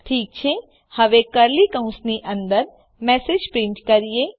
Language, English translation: Gujarati, Alright now inside the curly brackets, let us print a message